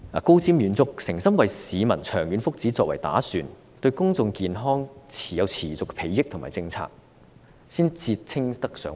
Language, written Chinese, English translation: Cantonese, 高瞻遠矚、誠心為市民長遠福祉作打算、對公眾健康有持續裨益的政策，才可以稱為德政。, Only policies with foresight and sincerity that provide for the long - term well - being of the public and constantly benefit the public health can be described as promoting good governance